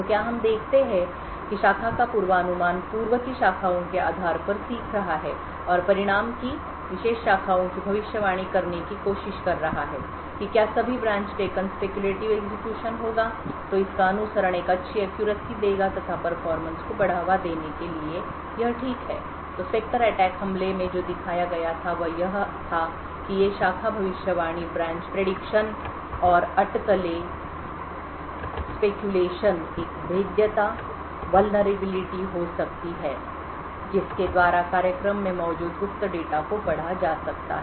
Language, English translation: Hindi, So does we see that the branch predictor is learning based on prior branches and trying to predict the result offered particular branches whether the branch would be taken all the branch would not be taken the speculative execution that follows would hopefully have a better accuracy and therefore would boost the performance so what was shown in the specter attack was that these branch prediction plus the speculation could result in a vulnerability by which secret data present in the program can be read